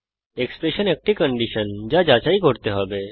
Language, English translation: Bengali, The expression is the condition that has to be checked